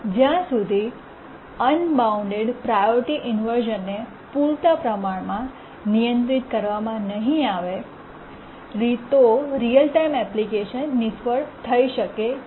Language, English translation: Gujarati, Unless the unbounded priority problem is handled adequately, a real time application can fail